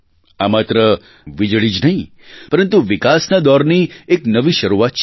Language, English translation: Gujarati, This is not just electricity, but a new beginning of a period of development